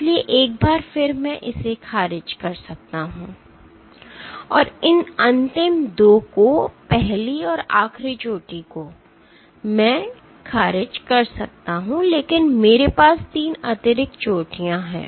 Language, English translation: Hindi, So, once again I can dismiss this and these last 2 the first and the last peak I can dismiss, but I have 3 additional peaks